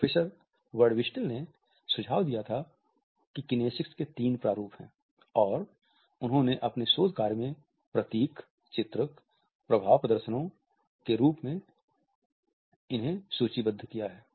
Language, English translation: Hindi, Professor Ray Birdwhistell had suggested that there are three types of kinesics, and he has listed emblems, illustrators and affect displays in his research work